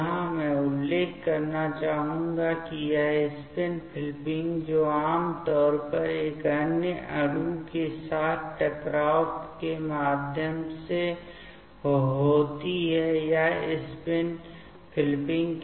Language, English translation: Hindi, Here I would like to mention that this spin flipping that generally occurs through the collisions with another molecule in general in the reactions there will be solvent